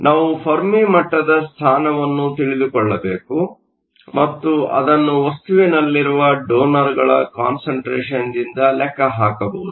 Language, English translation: Kannada, To know that we need to know the position of the Fermi level and that can be calculated from the concentration of donors in the materials